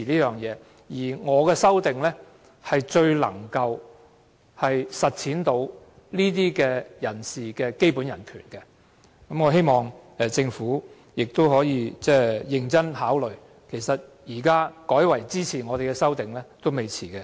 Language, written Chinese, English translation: Cantonese, 再者，我的修正案最能實踐這些人士的基本人權，我希望政府認真考慮，現在改為支持我們的修正案仍為時未晚。, Moreover my amendment is the best way to realize the basic rights of these people . I hope the Government will give serious consideration to this . It is not too late to change and support our amendments